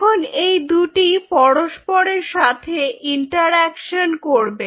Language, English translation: Bengali, so now these two interact with each other